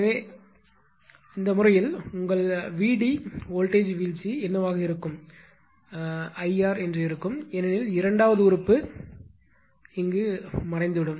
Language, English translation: Tamil, So, in that case what will happen that your VD voltage drop will be simply I into R right because that the second term is vanish